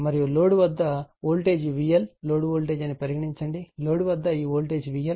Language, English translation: Telugu, And across the load, the voltage is say V L that is the load voltage; across the load, this voltage is V L right